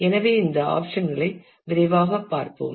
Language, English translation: Tamil, So, let us quickly take a look at these options